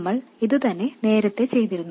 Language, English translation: Malayalam, This is exactly what we did earlier also